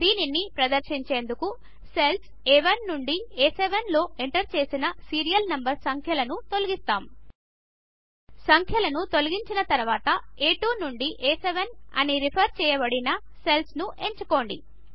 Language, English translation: Telugu, To demonstrate this, we will first delete the serial numbers already entered in the cells A1 to A7 After deleting the numbers, select the cells referenced as A2 to A7 again